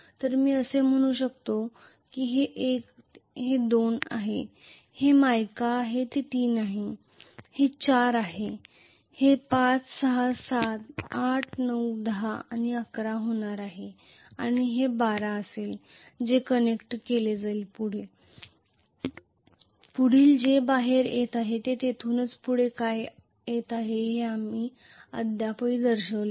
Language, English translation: Marathi, So I can say this is 1 this is 2 this is mica this is 3 this is 4 this is going to be 5, 6, 7, 8, 9, 10 and 11 and this will be actually 12 which will be connected to, the next one which is coming out we have not still shown what is coming out of here